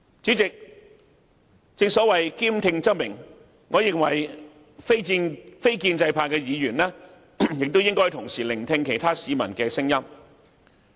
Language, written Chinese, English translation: Cantonese, 主席，正所謂兼聽則明，我認為非建制派議員亦應同時聆聽其他市民的聲音。, President as receptivity breeds enlightenment I think non - pro - establishment Members should also listen to the voices of other members of the public